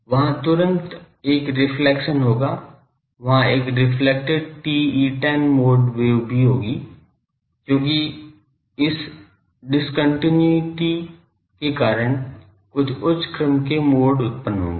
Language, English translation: Hindi, There will be immediately a reflection, there will be a reflected TE 10 mode wave also, because of this discontinuity there will be some higher order modes will get generated